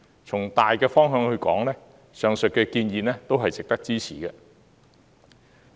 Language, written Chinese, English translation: Cantonese, 從大方向來說，上述建議都是值得支持的。, As far as the general direction is concerned the above recommendations are worth our support